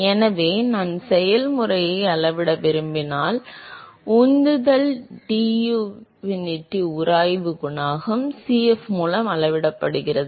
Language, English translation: Tamil, So, if I want to quantify the process, the momentum diffusivity is quantified by the friction coefficient Cf